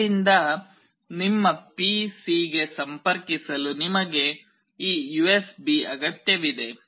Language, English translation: Kannada, For connecting from here to your PC you require this USB